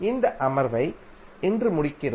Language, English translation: Tamil, So we close this session today